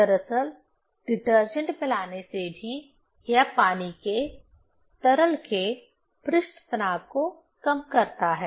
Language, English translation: Hindi, Actually, addition of detergent also, it reduces the surface tension of the water, of the liquid